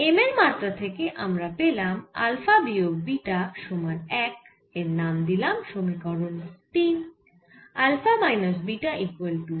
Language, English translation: Bengali, for for dimension of m we are getting alpha minus beta is equal to one